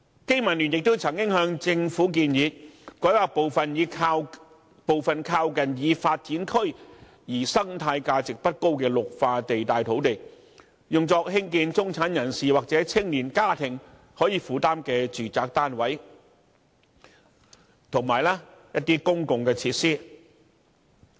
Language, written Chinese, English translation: Cantonese, 經民聯亦曾經向政府建議，改劃部分靠近已發展區而生態價值不高的綠化地帶土地，用作興建中產人士或青年家庭可負擔的住宅單位，以及一些公共設施。, BPA has also proposed that the Government rezone part of the land with relatively low ecological value in green belt areas in the periphery of developed urban areas for the construction of affordable flats for the middle class or young families as well as some public facilities